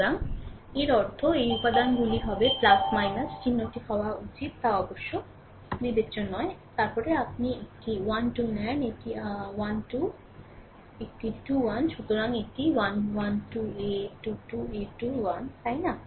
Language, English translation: Bengali, So, minus means that your this elements will be plus minus, it does not matter the sign should be minus then minus you take the a 1 3, this is a a 1 3, a 2 2, a 3 1 so, it is a 1 3 a 2 2 a 3 1, right